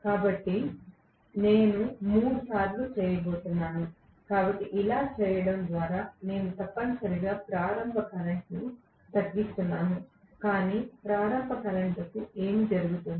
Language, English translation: Telugu, So, I am going to have three times, so by doing this I am essentially reducing the starting current, no doubt, but what happens to the starting torque